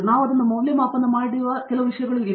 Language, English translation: Kannada, These are some of the things that we evaluate that